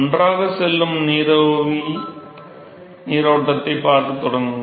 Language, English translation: Tamil, So, you well start seeing vapor stream which is going together